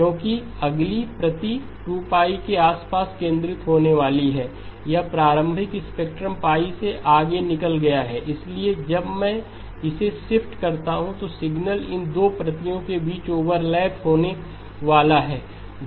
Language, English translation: Hindi, Because the next copy is going to be centered around 2pi, this initial spectrum has gone beyond pi, so when I shift it there is going to be overlap between these two copies of the signal